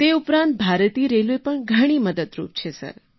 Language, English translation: Gujarati, Next, Indian Railway too is supportive, sir